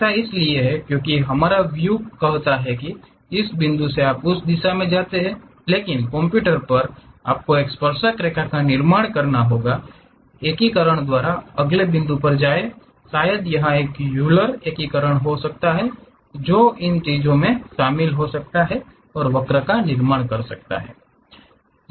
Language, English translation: Hindi, That is because our our visual says that from this point you go in that direction, but to the computer you have to teach construct a tangent, go to next point by integration maybe it might be a Euler integration, go join those things and construct a curve